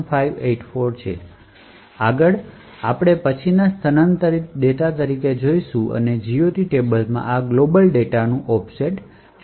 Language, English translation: Gujarati, Further, we can then look at the relocatable data and see the offset of this global data myglob in the GOT table